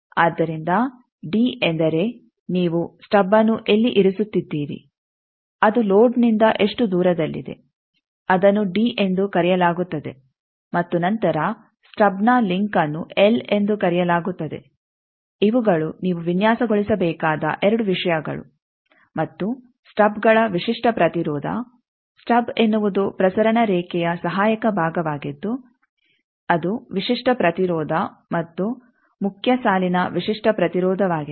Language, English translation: Kannada, So, d that means, where you are placing the stub, how far is it from the load that is called d and then link of the stub that is called l, these are the 2 things that you need to design and the stubs characteristic impedance stub is a auxiliary part transmission line that characteristic impedance, and the main line characteristic impedance